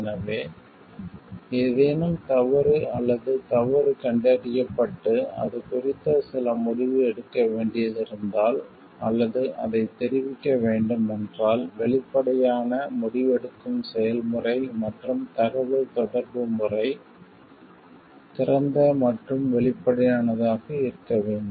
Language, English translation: Tamil, So, if some wrong or fault is detected and some decision needs to be taken about it, then or it needs to be communicated, they there should be transparent decision making process and the communication method open and transparent